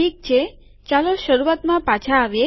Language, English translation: Gujarati, Alright, lets come back to the beginning